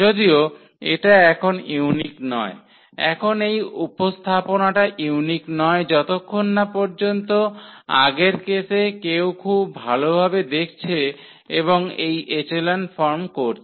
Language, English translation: Bengali, In fact, this it is not unique now this representation is not unique while in the earlier cases one can closely observe and doing this echelon form